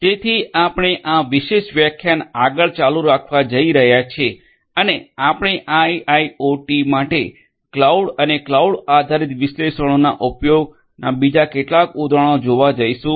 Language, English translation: Gujarati, So, we are going to continue further in this particular lecture and we are going to look at few other examples of use of cloud and analytics cloud based analytics in fact, for IIoT